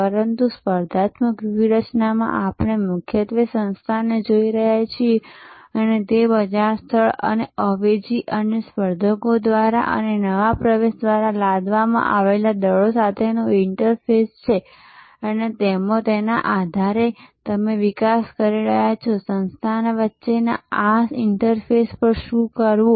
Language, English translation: Gujarati, But, in competitive strategy we are mainly looking at the organization and it is interfaces with the market place and the forces imposed by substitutes and by competitors and by new entrance and based on that you are developing what to do at this interface between the organization and the market